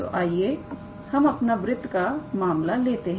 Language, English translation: Hindi, So, let us take our circle case